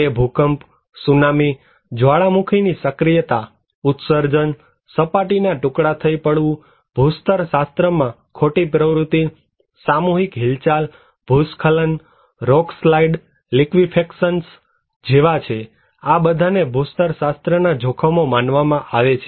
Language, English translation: Gujarati, They are like earthquake, tsunami, volcanic activity, emissions, surface collapse, geological fault activity, mass movement, landslide, rock slides, liquefactions, all are considered to be geological hazards